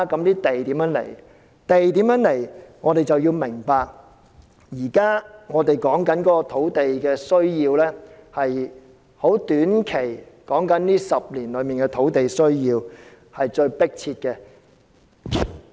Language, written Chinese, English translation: Cantonese, 就地從何來這問題，我們必須明白當前討論的土地需要是短期的需要，而這10年內的土地需要是最迫切的。, Regarding the source of land supply we must understand that the demand for land under discussion is short - term demand and that the demand for land is most imminent within the next 10 years